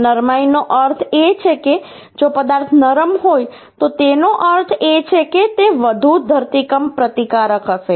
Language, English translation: Gujarati, This ductility means if uhh the material is ductile, that means it will be much more seismic resistance